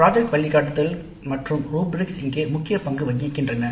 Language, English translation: Tamil, Project guidelines and rubrics play the key roles here